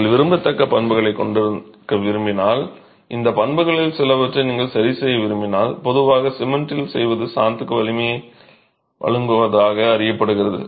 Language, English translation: Tamil, And what is typically done in case you want to have desirable properties, you want to tinker with some of these properties, what's normally done is cement is known to provide strength to motor